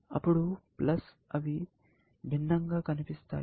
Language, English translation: Telugu, Then, of course, they look different